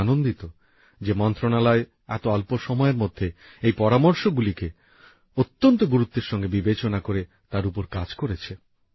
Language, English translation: Bengali, I am happy that in such a short time span the Ministry took up the suggestions very seriously and has also worked on it